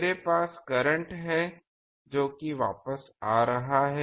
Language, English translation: Hindi, I have a current that current is coming back